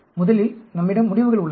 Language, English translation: Tamil, First, we have the results